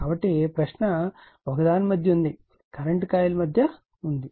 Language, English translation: Telugu, So, question is in between one , between your current coil is there